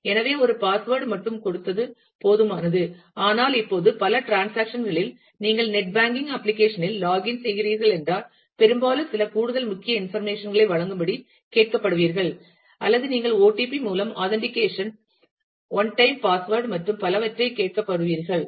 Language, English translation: Tamil, So, giving just one password was enough, but now in many transactions for example, if you are logging into a net banking application then, often you will be asked to provide some additional key information, or you will be asked to do a authentication by OTP one time password and and so on